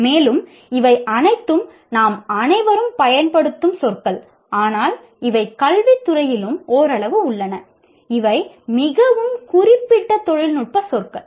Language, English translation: Tamil, And then these are the words that we all use, but these are also somewhat in the education field, these are very specific technical words